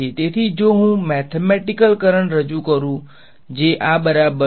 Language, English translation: Gujarati, So, if I introduce a mathematical current which is equal to